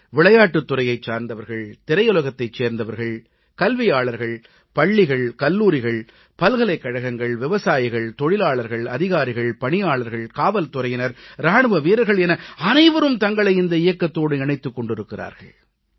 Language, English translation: Tamil, Whether it be people from the sports world, academicians, schools, colleges, universities, farmers, workers, officers, government employees, police, or army jawans every one has got connected with this